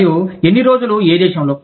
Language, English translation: Telugu, And, how many days, in which country